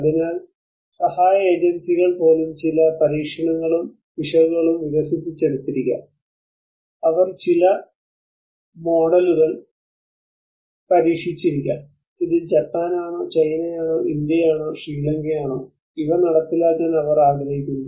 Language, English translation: Malayalam, So even the aid agencies they might have develop certain trial and error process they might have tested certain models, and they want to implement these things whether it is Japan, whether it is China, whether it is India, whether it is Sri Lanka, whether it is Bangladesh